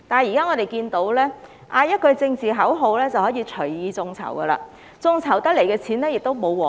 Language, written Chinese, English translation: Cantonese, 然而，現在只要喊句政治口號便可以隨意眾籌，眾籌得來的款項亦不受規管。, However people can now casually initiate crowdfunding under political slogans while the funds so raised is not subject to any regulation